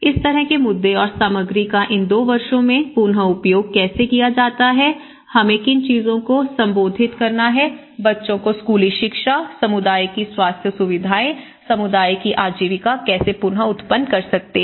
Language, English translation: Hindi, And there are issues like how this material could be reused in these two years, what are the things we have to address, children schooling, the community's health facilities, communityís livelihood, how they can regenerate and all these, okay